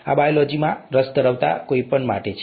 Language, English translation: Gujarati, This is for anybody who has an interest in biology